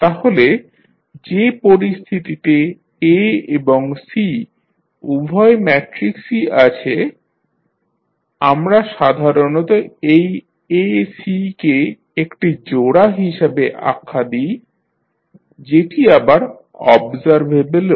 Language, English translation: Bengali, So, the condition that is containing A and C both matrices, we generally call it as the pair that is A, C is also observable